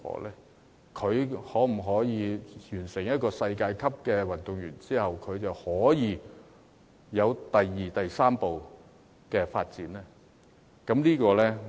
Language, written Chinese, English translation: Cantonese, 例如年青人成為世界級的運動員後，能否有第二步、第三步的發展呢？, For instance having become world - class athletes will young people be able to advance further and further in their careers?